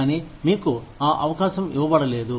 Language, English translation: Telugu, But, you could not be given that opportunity